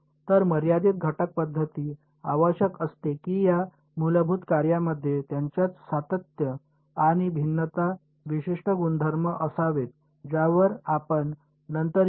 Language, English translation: Marathi, So, the finite element method needs that these basis functions they should have certain properties of continuity and differentiability which we will come to later ok